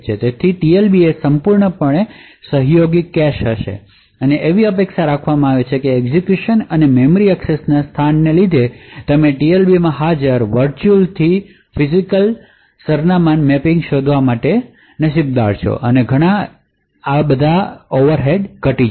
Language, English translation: Gujarati, So, the TLB would be fully associative cache and it is expected that due the locality of the execution and memory accesses you are quite lucky to find the mapping of virtual to physical address present in the TLB and a lot of overheads will be reduced